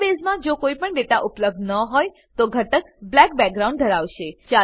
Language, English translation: Gujarati, If no data is available in the database, the element will have a black background